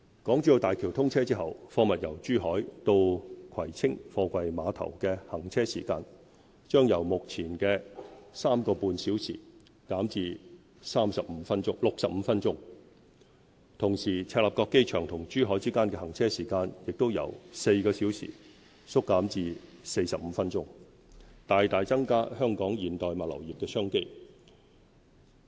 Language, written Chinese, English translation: Cantonese, 港珠澳大橋通車後，貨物由珠海到葵青貨櫃碼頭的行車時間，將由目前的 3.5 小時減至65分鐘；同時，赤鱲角機場與珠海之間的行車時間也由4小時縮減至45分鐘，大大增加香港現代物流業的商機。, Upon commissioning of the Hong Kong - Zhuhai - Macao Bridge HZMB it will take only 65 minutes to transport goods from Zhuhai to the Kwai Tsing Container Terminals instead of about 3.5 hours at present . Meanwhile the journey time between the Hong Kong International Airport HKIA and Zhuhai will be reduced from 4 hours to 45 minutes thereby greatly increasing business opportunities for the modern logistics sector in Hong Kong